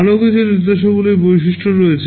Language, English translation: Bengali, and Tthere are some other instruction features